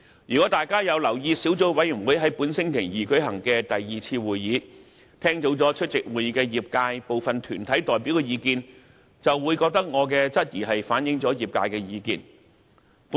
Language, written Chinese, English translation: Cantonese, 如果大家有留意小組委員會在本星期二舉行的第二次會議，聽到出席會議的業界部分團體代表的意見，就會認為我的質疑正反映業界的聲音。, Well upon taking note of the views expressed by some of the attending deputations of the industry at the second meeting of this Subcommittee held this Tuesday you will deem my such query a precise reflection of the industrys view